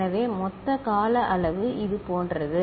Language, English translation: Tamil, So, total time period is like this